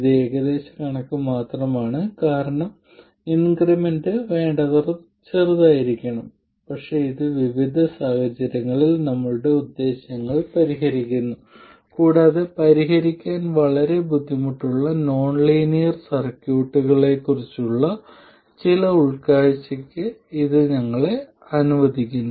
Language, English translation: Malayalam, This is only approximate because the increment has to be sufficiently small but it serves our purposes in a variety of situations and it lets us get some insight into nonlinear circuits which are otherwise very difficult to solve